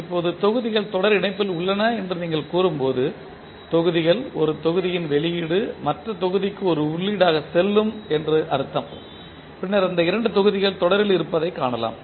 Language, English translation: Tamil, Now, when you say that the blocks are in series combination it means that the blocks, the output of one block will go to other block as an input then we will see that these two blocks are in series